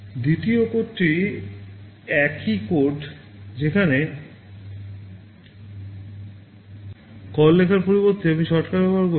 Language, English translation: Bengali, The second code is the same one where instead of calling write I am using the shortcut